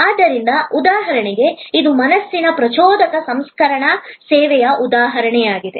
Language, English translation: Kannada, So, for example, this is an example of mental stimulus processing service